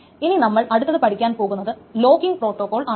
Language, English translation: Malayalam, So that is the locking protocol that we are going to study next